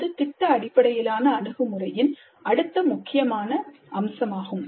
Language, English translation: Tamil, This is the next key feature of project based approach